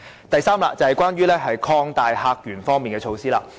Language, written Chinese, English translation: Cantonese, 第三，是關於擴大客源方面的措施。, Third it is about measures for expanding visitor sources